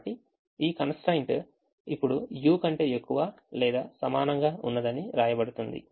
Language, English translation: Telugu, so this constraint will be written now as u is greater than or equal to